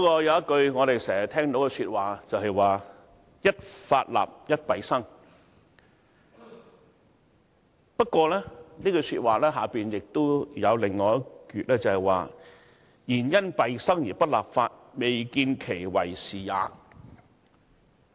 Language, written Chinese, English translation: Cantonese, 有一句我們經常聽到的說話是，"一法立而一弊生"，而這句說話的下半部是，"然因弊生而不立法，未見其為是也。, There is an oft - quoted saying a new law will necessarily lead to a new problem . And the second - half of this saying is but it is inappropriate not to make law because of the new problem